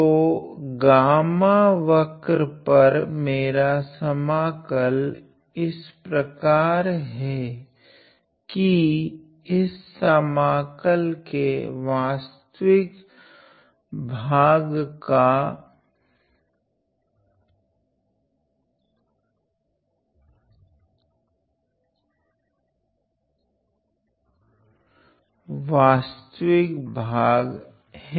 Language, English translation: Hindi, So, on the curve gamma my integral is such that the real part of this integral real part